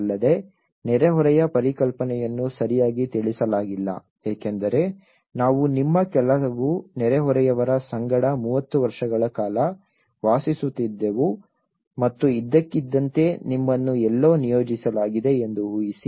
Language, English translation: Kannada, Also, the neighbourhood concept is not well addressed because imagine 30 years we lived in a company of some of your neighbours and suddenly you are allocated somewhere